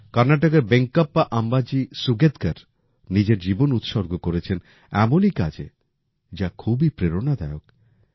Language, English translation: Bengali, The life of Venkappa Ambaji Sugetkar of Karnataka, is also very inspiring in this regard